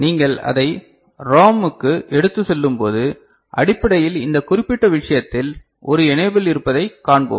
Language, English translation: Tamil, And when you take it to ROM so, basically in this particular case we’ll see that there is an enable